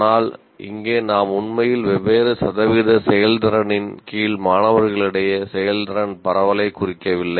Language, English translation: Tamil, But here we are not really indicating the distribution of performance among the students under different what you call percentage performances